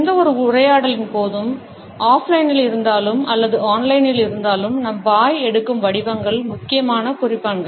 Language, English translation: Tamil, The shapes our mouth takes are important markers during any dialogue, whether it is offline or it is online